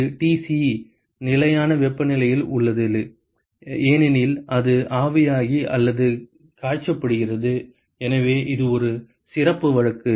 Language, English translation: Tamil, And this is the Tc, is at a constant temperature because it is being evaporated or being boiled for example, so that is a special case